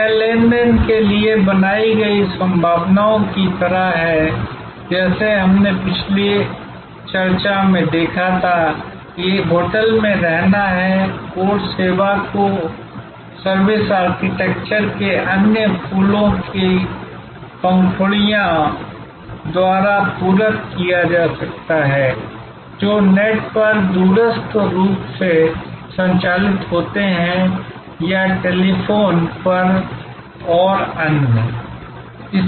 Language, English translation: Hindi, It also sort of created possibilities for transactions that could be done as we saw in the previous discussion that is stay at a hotel, the core service could be supplemented by most of the other flower petals of the service architecture, conducted over remotely over the net or over the telephone and so on